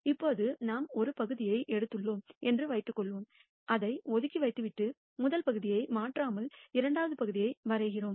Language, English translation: Tamil, Now let us assume that we have picked one part kept it aside and we draw a second part without replacing the first part into the pool